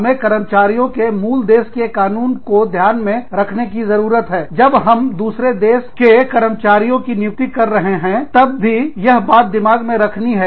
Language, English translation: Hindi, We need to keep the laws, of the parent country, of the employee, also in mind, while hiring, people from other countries